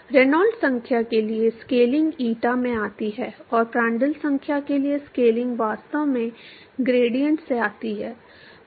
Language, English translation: Hindi, The scaling for Reynolds number comes from eta, and the scaling for Prandtl number actually comes from the gradients